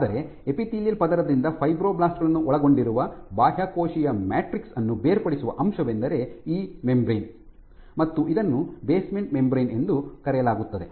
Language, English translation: Kannada, But what separates the extracellular matrix containing the fibroblasts from the epithelial layer is this membrane called basement membrane